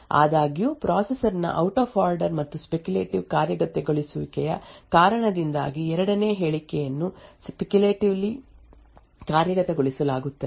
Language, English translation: Kannada, So however due to the out of order and speculative execution of the processor the second statement would be speculatively executed